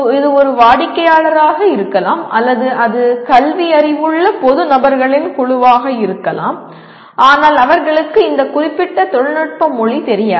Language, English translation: Tamil, It could be a customer or it could be a group of public persons who are literate alright but they do not know this specific technical language